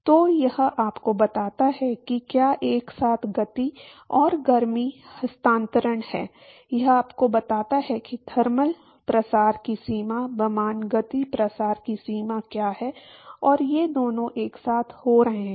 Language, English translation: Hindi, So, it tells you supposing if there is simultaneous momentum and heat transfer, it tells you, what is the extent of momentum diffusion versus the extent of thermal diffusion and both of these are happening simultaneously